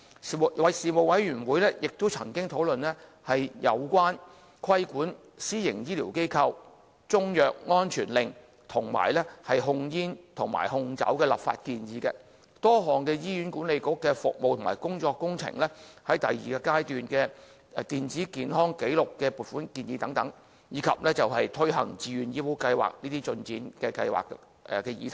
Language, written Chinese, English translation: Cantonese, 事務委員會亦曾經討論有關規管私營醫療機構、中藥安全令，以及控煙和控酒的立法建議；多項醫管局的服務及工務工程；第二階段電子健康紀錄計劃的撥款建議；及推行自願醫保計劃的進展等議題。, The Panel also discussed the regulatory regime for private health care facilities a Chinese medicine safety order and legislative proposals about the Control of tobacco and alcohol consumption; a number of services and public works projects of HA; funding proposal for the stage two Electronic Health Record Programme as well as the progress of the implementation of the Voluntary Health Insurance Scheme and so on